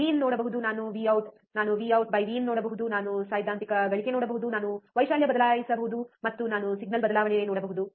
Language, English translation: Kannada, I can see V in I can see V out I can see V out by V in, I can see theoretical gain, I can change the amplitude, and I can see the change in signal